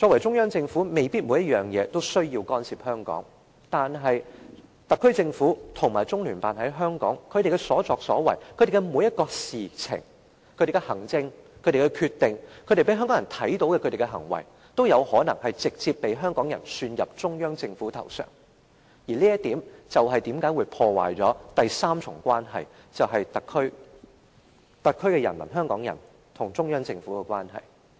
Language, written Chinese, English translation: Cantonese, 中央政府未必在每件事上都需要干涉香港的事務，但特區政府及中聯辦在香港的所作所為、所做的每一件事、所有行政和決定、所有讓香港人看到的行為，都有可能直接遭香港人算到中央政府的頭上，而這會破壞第三重關係，就是特區人民或香港人與中央政府之間的關係。, The Central Government may not need to interfere with every Hong Kong affair but Hongkongers may directly hold the Central Government responsible for all the conduct of the SAR Government and the Liaison Office of the Central Peoples Government in Hong Kong everything they did all the administration and decisions and all such behaviour as observed by the people of Hong Kong . This will damage the third part of the relationship which is the relationship between the people in the SAR or Hongkongers and the Central Government